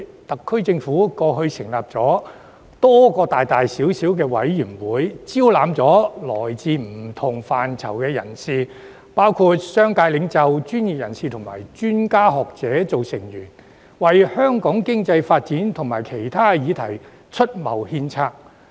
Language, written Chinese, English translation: Cantonese, 特區政府過去成立了多個大大小小的委員會，招攬來自不同範疇的人士，包括商界領袖、專業人士及專家學者作為成員，為香港經濟發展及其他議題出謀獻策。, Previously the SAR Government has set up a number of committees of various sizes and recruited people from different fields to be members among them are business leaders professionals experts and academics to offer advice and suggestions on Hong Kongs economic development and other issues